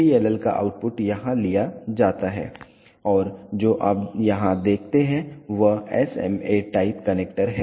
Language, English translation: Hindi, The output of the PLL is taken over here and what you see here is an SMA type connector